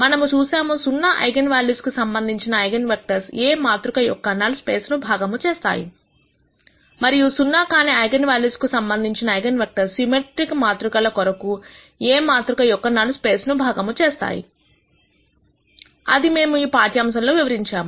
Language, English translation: Telugu, We saw that the eigenvectors corresponding to zero eigenvalues span the null space of the matrix A and eigenvectors corresponding to nonzero eigenvalues span the column space of A for symmetric matrices that we described in this lecture